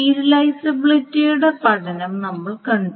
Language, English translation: Malayalam, So this is the study of serializability that we saw